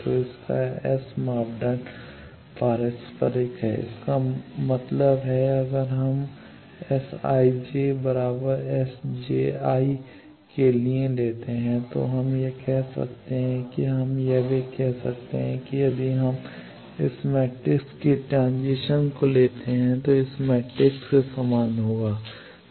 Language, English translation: Hindi, So, its S parameter is reciprocal; that means, if we take for S I j is equal to S j I we can say that or we can also say that if we take the transition of this matrix that will be same as this matrix